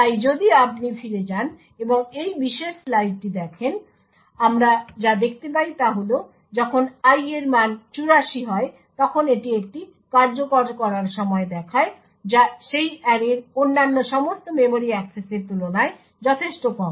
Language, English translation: Bengali, So if you go back and look at this particular slide what we see is that when i has a value of 84 it shows a execution time which is considerably lower compared to all other memory accesses to that array